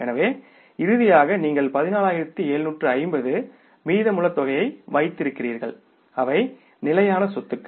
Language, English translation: Tamil, So finally you are left with this this balance of the 14,750 they are the fixed assets